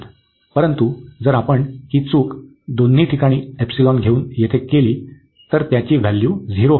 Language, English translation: Marathi, But, if we do this mistake here by taking the epsilon at both the places, then the value is coming to be 0